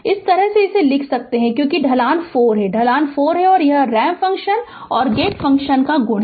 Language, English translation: Hindi, This way you can write because slope is 4, slope is 4 and it is a product of ramp function and a gate function right